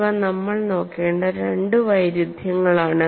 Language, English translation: Malayalam, These are two extremes that we will look at